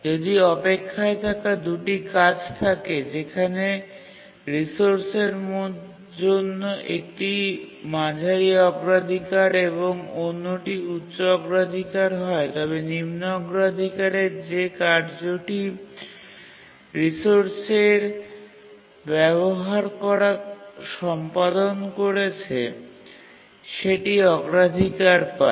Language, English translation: Bengali, If there are two tasks which are waiting, one is medium priority, one is high priority for the resource, then the lowest, the low priority task that is executing using the resource gets the priority of the highest of these two, so which is it